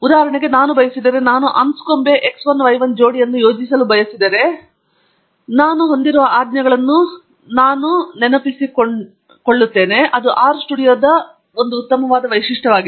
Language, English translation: Kannada, For example, if I would, if I want to plot the Anscombe x 1 y 1 pair, then I could, I am just recalling the commands that I have in my history and thatÕs a nice feature of R studio